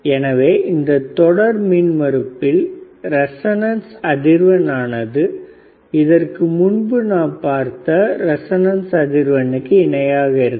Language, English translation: Tamil, tTherefore, the resistance series resonantce frequency is same as the resonant frequency which iwas given ea earrlier right